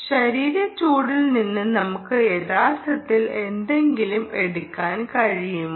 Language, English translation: Malayalam, can we actually ah pull of anything from body heat